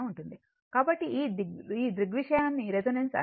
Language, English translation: Telugu, So, this phenomena is known as a resonance